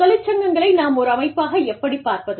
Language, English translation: Tamil, How do we view unions, as an organization